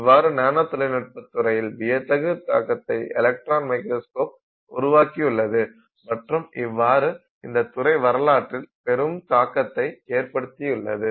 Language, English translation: Tamil, So, this is how electron microscopes have dramatically impacted the field of nanotechnology and that is how they have impacted the history of nanotechnology